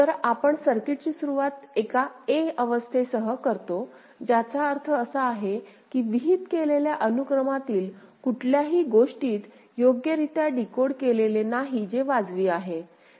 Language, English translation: Marathi, So, we initialize the circuit with a state say a ok, which means that none of the bit in the prescribed sequence is correctly decoded which is reasonable, is not it ok